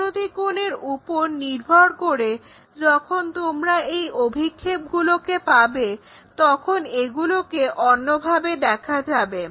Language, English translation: Bengali, Based on my inclination angle when you have these projections you see it in different way